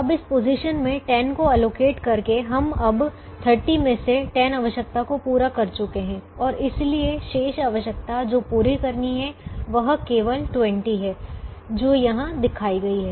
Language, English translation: Hindi, now, by allocating ten to this position, we have now met ten out of the thirty requirement and therefore the remaining requirement that has to be met is only twenty, which is shown here